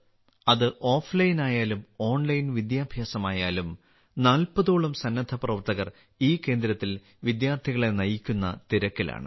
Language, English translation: Malayalam, Be it offline or online education, about 40 volunteers are busy guiding the students at this center